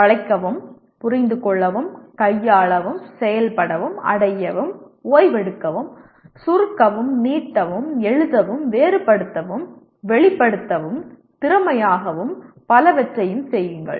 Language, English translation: Tamil, Bend, grasp, handle, operate, reach, relax, shorten, stretch, write, differentiate, express, perform skillfully and so on